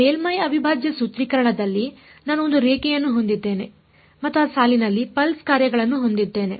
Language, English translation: Kannada, In the surface integral formulation I had a line and I had pulse functions on that line